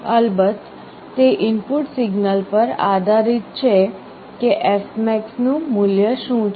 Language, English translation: Gujarati, This of course depends on an input signal, what is the value of fmax